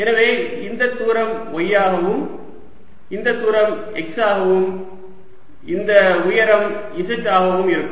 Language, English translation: Tamil, so this distance will be y, this distance will be x and this height will be z